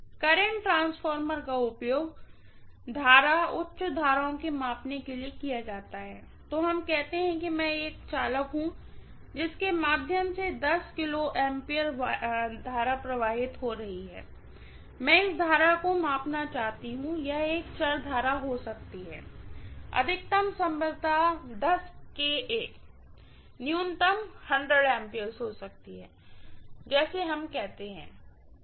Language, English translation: Hindi, The current transformer is being used for measurement of current, high currents, so let us say, I am having a conductor through which may be 10 kilo amperes of current is flowing and I want to measure this current, it can be a variable current, the maximum is probably 10 kilo ampere, minimum can be as low as 100 ampere let us say